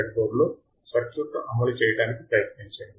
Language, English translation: Telugu, Try to implement the circuit on the breadboard